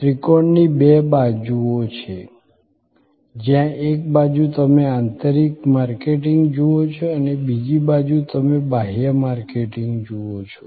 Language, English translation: Gujarati, There are two sides of the triangle, where on one side you see internal marketing on the other side you see external marketing